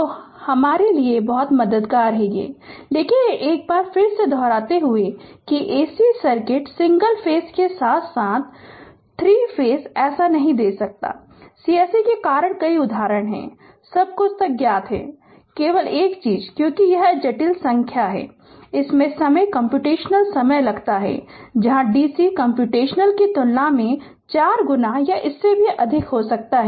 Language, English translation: Hindi, So, it will very helpful for you, but repeating once again that for AC circuit single phase as well as your 3 phase we cannot give so, many examples because of course, everything is known to you now, only thing is that because it complex number it takes time computational time, here than DC computational will be more than may be 4 times, or even more right